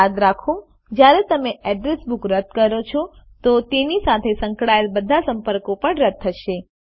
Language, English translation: Gujarati, Remember, when you delete an address book all the contacts associated with it are also deleted